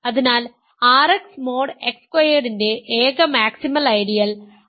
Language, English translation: Malayalam, So, the only maximal ideal of R X mod X squared is the ideal X plus I